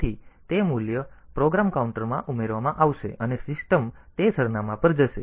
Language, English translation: Gujarati, So, that value will be added to the program counter, and the system will jump to that address